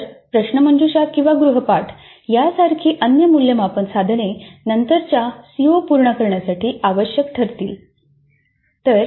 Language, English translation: Marathi, So, the other assessment instruments like a quiz or an assignment would become absolutely essential to cover the later COS